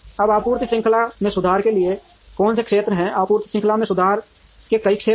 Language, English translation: Hindi, Now, what are the areas for improvement in a supply chain, the several areas of improvement in a supply chain